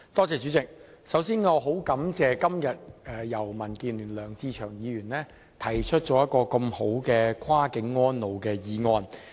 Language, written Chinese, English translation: Cantonese, 主席，我首先很感謝民主建港協進聯盟的梁志祥議員今天提出了一項這麼好的"跨境安老"議案。, President first of all I thank Mr LEUNG Che - cheung from the Democratic Alliance for the Betterment and Progress of Hong Kong for moving such a wonderful motion on Cross - boundary elderly care today